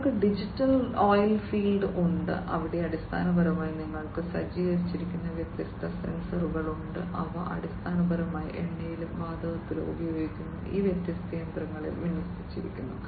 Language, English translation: Malayalam, They have the digital oilfield, where basically you have number of different sensors that are equipped that are deployed basically in these different machinery that are used in oil and gas